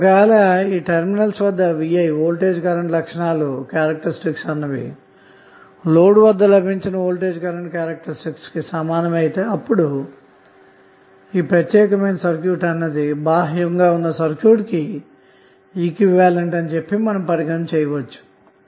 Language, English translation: Telugu, and if you have VI characteristic at this terminal same while taking the load out then the this particular circuit would be considered as the equivalent of that external circuit